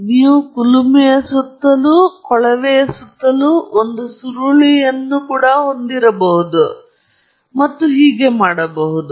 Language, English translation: Kannada, And therefore, you may even have a coil around the furnace, around the tube, and so on